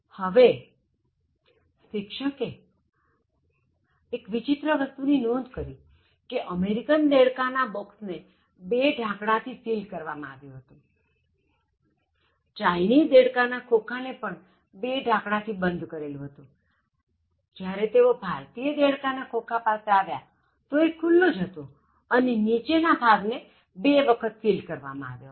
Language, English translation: Gujarati, Now, there was a strange thing that the teacher noted on the top of the American frog the container was sealed and sealed with two lids and Chinese frog also sealed with two lids, when it came to Indian frog the top part was just open and the bottom part was sealed twice